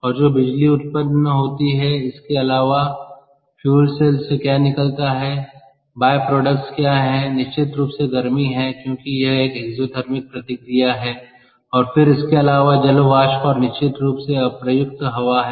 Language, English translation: Hindi, and what comes out off of the fuel cell, apart from electricity that is generated, the byproducts is heat, definitely, because its an exothermic reaction, and then its water vapour, ok, and of course unused air, clear